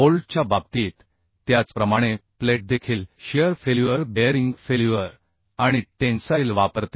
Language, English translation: Marathi, Similarly the plate also exert shear failure, bearing failure and tensile failure